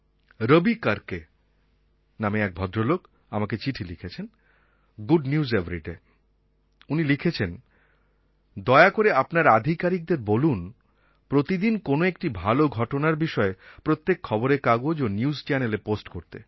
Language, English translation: Bengali, A person called Ravi has written to me "Good News Everyday he writes please ask your officials to post about one good incident every day